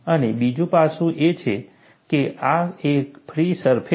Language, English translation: Gujarati, And another aspect is, this is a free surface